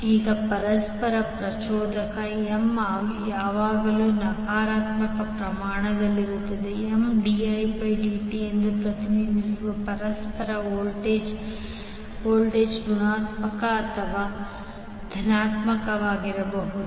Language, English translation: Kannada, Now although the mutual inductance M is always a positive quantity the voltage that is mutual voltage represented as M dI by dt may be negative or positive